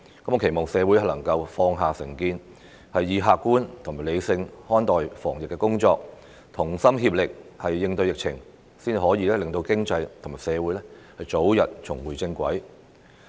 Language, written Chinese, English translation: Cantonese, 我期望社會能夠放下成見，客觀和理性看待防疫工作，同心協力應對疫情，這樣才可以令經濟和社會早日重回正軌。, I hope that society can cast aside its prejudice and treat the anti - epidemic efforts objectively and rationally . Only by working together with one heart to combat the epidemic can we expeditiously bring the economy and society back on the right track